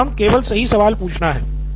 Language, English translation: Hindi, My job is to ask the right questions